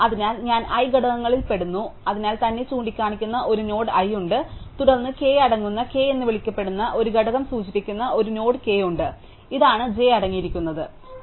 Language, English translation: Malayalam, So, i belongs to the components i, so there is a node i which points to itself, then there is a node k which points to itself indicating this is a component called k containing k, this is the components called j containing j